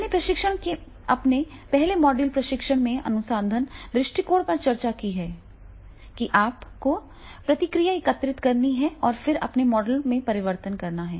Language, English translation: Hindi, I have discussed this in my earlier module of the research, research approach in training and then in that case you will gather the feedback and then you can make the changes in your model